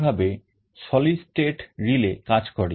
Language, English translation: Bengali, This is how solid state relay works